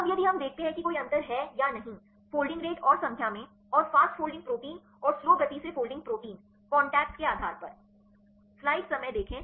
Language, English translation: Hindi, Now if we see whether any difference in the folding rate and the number and the fast folding proteins and the slow folding proteins based on number of contacts